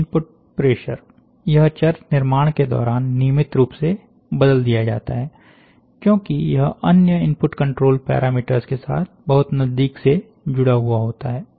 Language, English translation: Hindi, Input pressure, this variable is changed regularly during a built, as it is tightly coupled with the other input control parameters